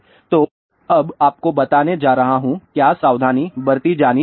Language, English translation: Hindi, So, I am going to tell you now what are the precautions to be taken